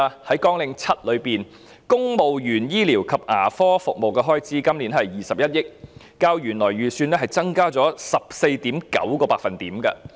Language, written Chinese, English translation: Cantonese, 在綱領7下，今年公務員醫療及牙科服務的開支是21億元，較原來的預算增加了 14.9%。, Under Programme 7 the expenditure on medical and dental treatment for civil servants is 2.1 billion this year showing a 14.9 % increase over the original estimate